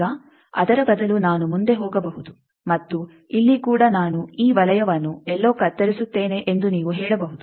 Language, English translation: Kannada, Now, you can say that instead of that I can further go on and here also I will cut this circle somewhere here